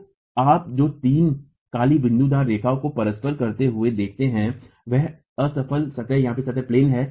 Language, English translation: Hindi, So, what you see in red overlapping the three black dotted lines is the failure plane